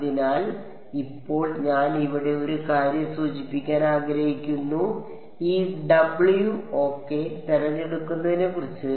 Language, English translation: Malayalam, So, now one thing I want to mention over here, about the choice of these W ok